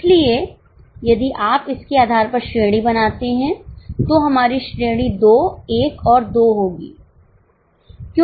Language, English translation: Hindi, So, if you go for a rank based on this, our rank will be 2, 1 and 2